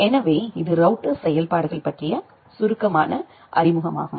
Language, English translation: Tamil, So, that is a brief introduction about the router functionalities